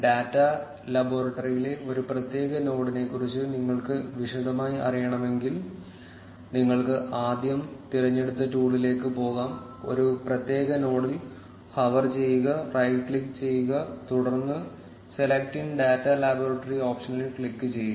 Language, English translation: Malayalam, In case, you want to know in detail about a particular node in the data laboratory, then you can first go to the select tool, hover over particular node, right click, and then click on the select in data laboratory option